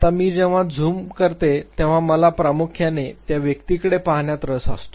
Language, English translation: Marathi, Now, when I zoom in I am primarily interested looking within the individual